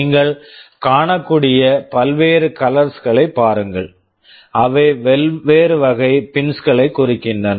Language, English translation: Tamil, See the various colors you can see, they indicate different categories of pins